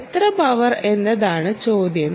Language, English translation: Malayalam, the question is how much power